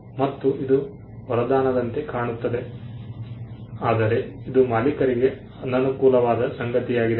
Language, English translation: Kannada, And this also is it looks like a boon, but it is also something which is disadvantageous to the owner